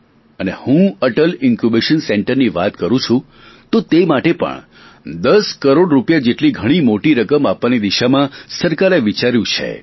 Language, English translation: Gujarati, And when I talk of Atal Incubation Centres, the government has considered allocating the huge sum of 10 crore rupees for this also